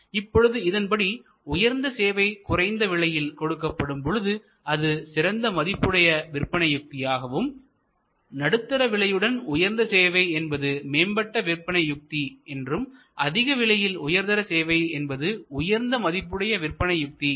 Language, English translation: Tamil, Then; obviously, if the, at high qualities delivered at low price that we can call the supper values strategy, a medium level pricing with high qualities, high value strategy and high price with high quality could be the premium strategy